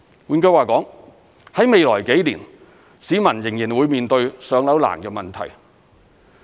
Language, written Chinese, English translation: Cantonese, 換句話說，在未來幾年，市民仍然會面對"上樓"難的問題。, In other words members of the public will still encounter difficulties in being allocated with PRH units in the next few years